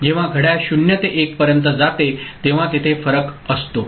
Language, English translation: Marathi, Only when clock from goes from 0 to 1 there is a difference there is a change occurring